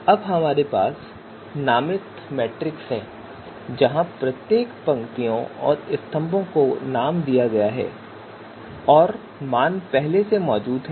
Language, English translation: Hindi, Now we have the named matrix where each of the you know rows and each of the columns they are named here and the values are already there